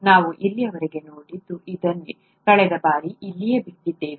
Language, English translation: Kannada, This is what we have seen so far, this is where we left off last time